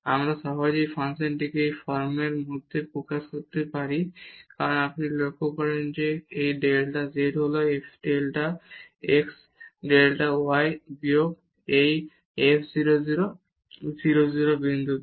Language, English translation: Bengali, We can easily express this function into this form because if you observe that this delta z is f delta x delta y minus this f 0 0 at 0 0 point